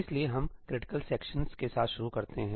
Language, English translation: Hindi, So, let us start with critical sections